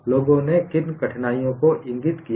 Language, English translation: Hindi, What are all the difficulties people have pointed out